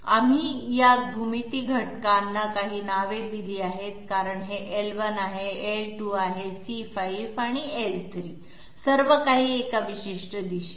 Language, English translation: Marathi, We have given certain names to these geometry elements for this is L1, this is L2, this is C5, and this is L3 together with a particular direction